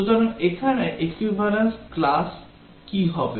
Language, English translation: Bengali, So what will be the equivalence classes here